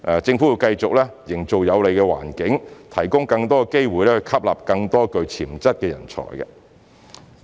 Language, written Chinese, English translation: Cantonese, 政府會繼續營造有利環境，提供更多機會以吸納更多具潛質的人才。, The Government will continue to create a favourable environment and offer more opportunities to recruit more talents with potentials